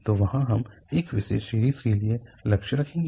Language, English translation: Hindi, So there we will aim for a particular series